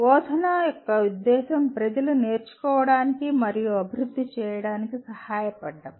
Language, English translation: Telugu, Purpose of instruction is to help people learn and develop